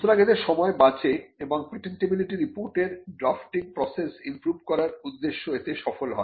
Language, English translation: Bengali, So, that time is saved and the objective of the patentability report improving the drafting process is also achieved by doing this